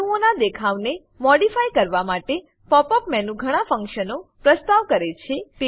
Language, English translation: Gujarati, Pop up menu offers many functions to modify the display of atoms